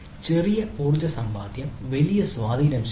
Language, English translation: Malayalam, so small energy savings result in a large impact